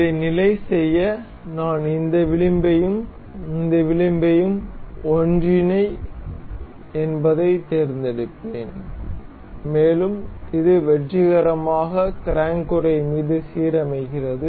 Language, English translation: Tamil, To fix this I will select this edge and this edge to coincide, and it successfully aligns over the crank casing